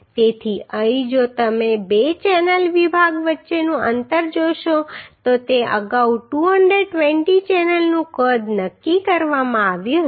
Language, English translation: Gujarati, So here if you see uhhh the spacing between two channel section it was decided earlier 220 channel size was decided